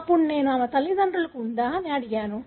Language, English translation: Telugu, Then I asked whether her parents had